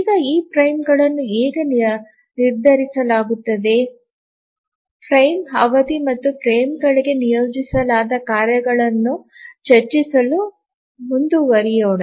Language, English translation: Kannada, Now let's proceed looking at how are these frames decided frame duration and how are tasks assigned to the frames